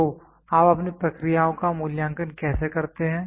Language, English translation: Hindi, So, how do you character how do you evaluate your processes